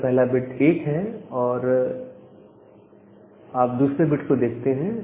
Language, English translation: Hindi, If the first bit is 1, then you look into the second bit